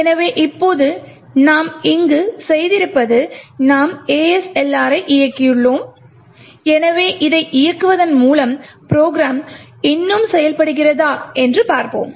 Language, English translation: Tamil, So, what we have done here now is we have enabled ASLR, so with this enabling let us see if the program still works